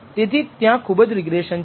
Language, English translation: Gujarati, So, there was quite a lot to regression